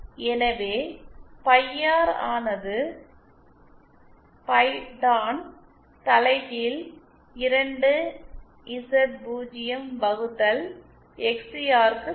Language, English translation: Tamil, So phi R is equal to pi Tan inverse 2Z0 by XCR